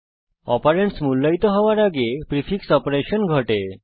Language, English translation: Bengali, The prefix operation occurs before the operand is evaluated